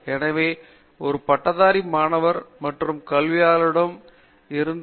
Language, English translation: Tamil, So, as a graduate student and academic this is how I measure the success of a graduate student